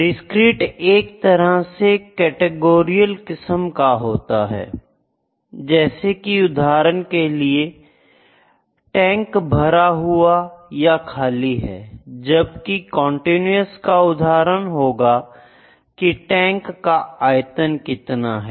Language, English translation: Hindi, Discrete is the kind of categorical sometimes like is the tank full or empty, the continuous can be the capacity of the tank height is this tall or small